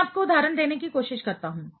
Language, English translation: Hindi, Let me try to give you an example